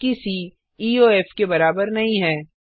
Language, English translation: Hindi, While c is not equal to EOF